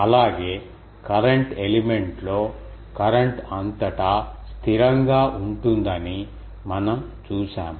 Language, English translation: Telugu, Also, ah we have seen that in the current element the current is constant throughout